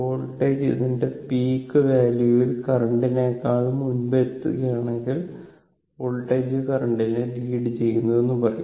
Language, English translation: Malayalam, If voltage is reaching it is peak of before then the current; that means, voltage is leading the current right